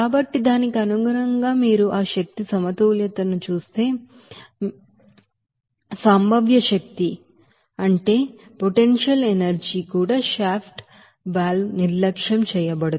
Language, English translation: Telugu, So accordingly again if you do that energy balance, so we can get that you know, potential energy even shaft valve will be neglected